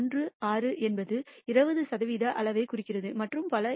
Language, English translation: Tamil, 1016 represents to 20 percent quantile and so on, so forth